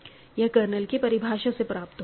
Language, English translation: Hindi, So, this is the definition of the kernel